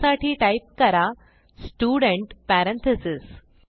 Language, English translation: Marathi, So type, Student parentheses